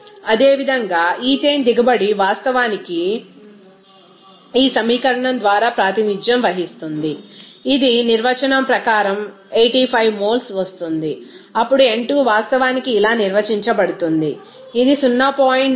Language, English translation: Telugu, Similarly ethane yield will be actually represented by the this equation it will be coming as 85 moles as by definition, then n2 will be actually defined as like this, this one 0